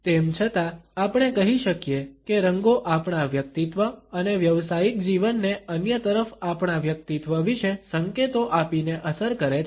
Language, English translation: Gujarati, Nonetheless we can say that colors affect our personal as well as professional lives by imparting clues about our personality to others